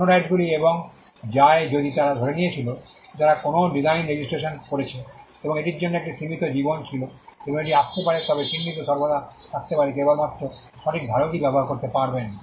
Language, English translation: Bengali, The other rights come and go if they had assumed that they had registered a design and there was a limited life for it would come and go, but the mark can always; can only be used by the right holder